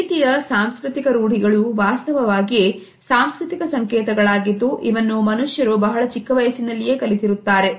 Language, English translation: Kannada, These cultural practices in fact, are the culture codes which human beings learn at a very early stage of their life